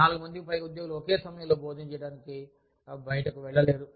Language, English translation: Telugu, More than 4 employees, cannot go out, to have their lunch, at the same time